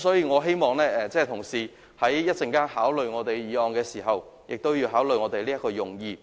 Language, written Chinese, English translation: Cantonese, 我希望同事在稍後考慮我們的議案時，同時亦會考慮這個用意。, I hope that when colleagues consider my motion later on they will also give due consideration to this intent